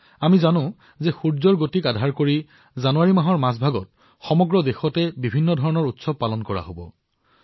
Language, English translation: Assamese, We all know, that based on the sun's motion, various festivals will be celebrated throughout India in the middle of January